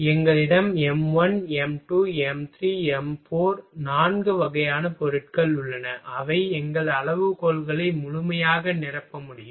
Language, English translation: Tamil, From we have m1, m2, m3 m4 four type of materials which can full fill our criteria